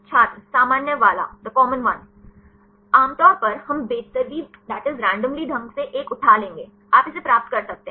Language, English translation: Hindi, the common one Generally, we will take randomly pick up one; you can get this one